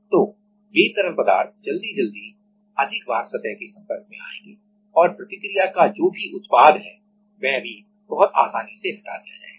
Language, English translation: Hindi, So, those liquids will get in contact with the surface more frequently and also whatever is the product of the reaction that also will be removed very easily